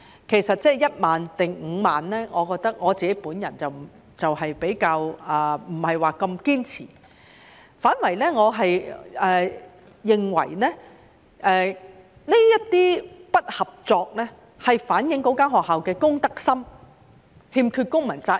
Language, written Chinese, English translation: Cantonese, 其實，對於是1萬元或5萬元，我比較不太堅持，我反而認為這些不合作是反映該學校的公德心，欠缺公民責任。, In fact I will not be entangled in the amount of 10,000 or 50,000 . Rather I think that such non - cooperation reflects the lack of the sense of social responsibility and civic duty on the part of the school